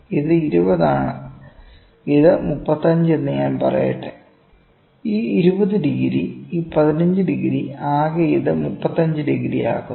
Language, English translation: Malayalam, This is 20, let me say this 35, this is 20 degree total this is 15 degree that we makes it to 35 degree